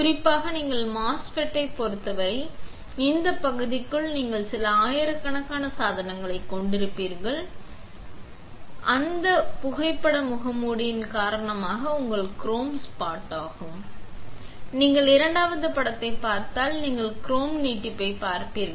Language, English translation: Tamil, particularly when you fabricate MOSFETs then within this area you will have few thousands of devices that you are, that you will be killed, killing because of that effects in that photo mask which is your chrome spot